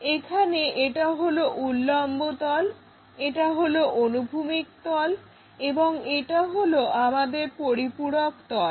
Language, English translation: Bengali, Here, we have this is vertical plane, horizontal plane and our auxiliary plane is this